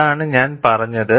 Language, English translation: Malayalam, That is what I remember